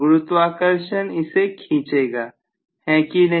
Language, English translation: Hindi, Will the gravity not pull it